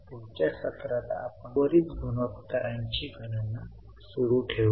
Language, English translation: Marathi, In the next session we will continue with the calculation of the remaining ratios